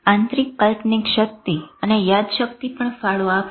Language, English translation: Gujarati, Internal imagery and memory will also contribute to this